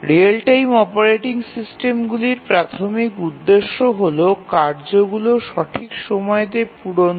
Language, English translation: Bengali, Actually the real time operating systems the primary purpose is to help the tasks meet their deadlines